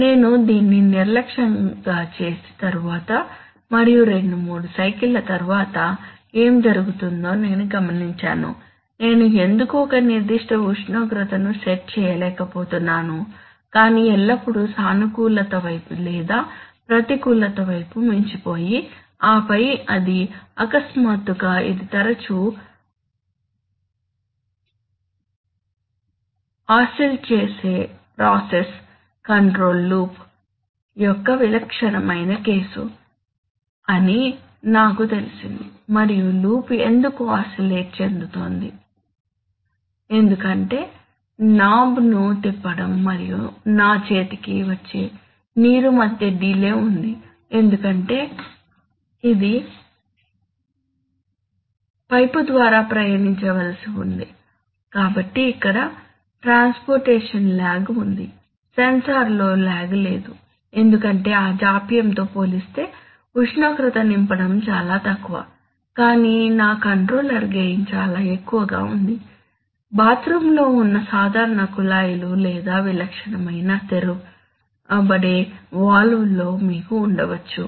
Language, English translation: Telugu, After I was doing this unmindfully and after two three cycles I took notice of this fact that what is happening why am I not able to set a particular temperature but rather always either exceeding on the positive side or the negative side and then it suddenly dawned on me that wow here is the, this is a case typical case often of an oscillating process control loop and why was it happening why was the loop oscillating the, loop was oscillating, Because there was a delay between my turning the knob and the and the water actually coming on to my hand because it had to travel through a pipe, so here there is a transportation lag there was no lag in the sensor because compared to that delay the delay in filling the temperature was negligible but coupled with the fact that my controller gain was very high, you know, typical taps which you have in the bathroom or quick opening kind of valve